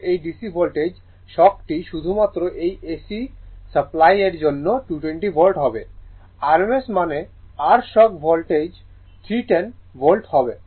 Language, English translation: Bengali, I mean, in this DC voltage, the shock will be 220 volt only for AC supply 220 volt rms means your shock level will be 310 volts